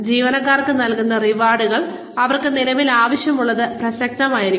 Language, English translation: Malayalam, The rewards, that are given to employees, should be relevant, to what they currently need